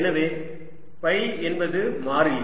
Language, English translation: Tamil, so phi is is equal to constant